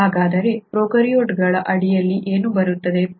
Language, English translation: Kannada, So, what are prokaryotes